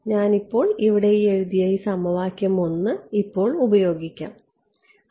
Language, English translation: Malayalam, I can now use this equation 1 that I have written over here right